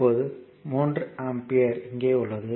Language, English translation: Tamil, So, this is your 4 ampere